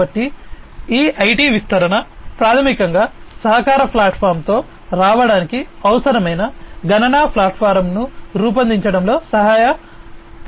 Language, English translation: Telugu, So, this IT proliferation has basically helped in building the computational platform that will be required for coming up with the collaboration platform